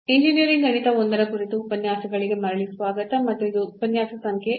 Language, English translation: Kannada, Welcome back to the lectures on Engineering Mathematics I and this is lecture number 20